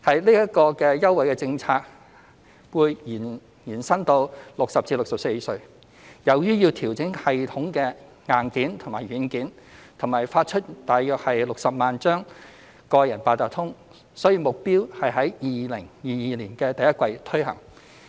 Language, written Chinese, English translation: Cantonese, 這項優惠政策會延伸至60歲至64歲人士，由於要調整系統的硬件和軟件及發出大約60萬張個人八達通卡，所以目標是在2022年第一季推行。, This concessionary fare policy will be extended to people aged 60 to 64 . Given the need to adjust the hardware and software of the system and issue approximately 600 000 personal Octopus cards our target is to implement this policy in the first quarter of 2022